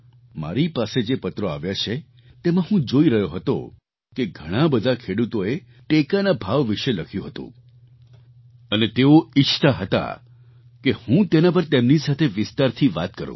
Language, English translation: Gujarati, I have received a number of letters in which a large number of farmers have written about MSP and they wanted that I should talk to them at length over this